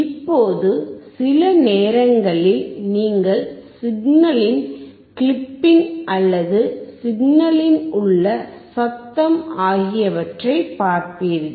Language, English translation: Tamil, Now, sometimes you will be looking at the clipping of the signal or the noise in the signal that may be due to the probe